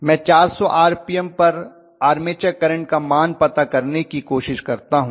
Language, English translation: Hindi, So let me try to calculate what is the value of first of all armature current at 400 RPM